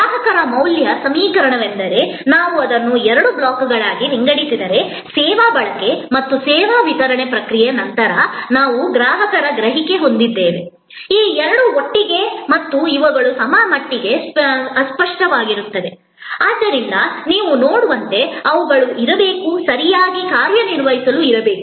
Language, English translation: Kannada, The customer value equation is that if we divided it in two blocks that on the top we have customer perception after service consumption and the service delivery process, these two together and these are somewhat intangible as you can see therefore, these they will have to be properly managed